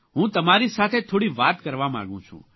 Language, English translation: Gujarati, I wanted to talk to you